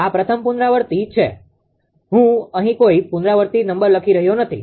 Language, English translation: Gujarati, This is first iteration; I am not writing any iteration number here